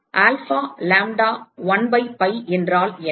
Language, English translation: Tamil, What will be alpha lambda 1 by pi